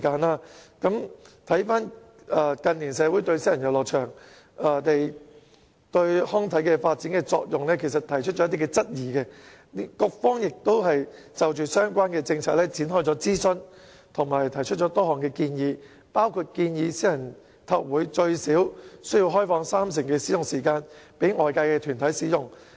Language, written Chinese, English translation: Cantonese, 其實，近年社會對私人遊樂場對康體發展的作用提出了一些質疑，局方也就相關政策展開諮詢和提出多項建議，包括建議私人體育會最少要開放三成使用時間供外界團體使用。, In fact in recent years the community raised some queries on the function of private recreational venues on recreational and sports development . In response the Bureau conducted a consultation on the related policy and rolled out a series of recommendations one of which is that private sports clubs should at least set aside 30 % of their opening hours for use by outside bodies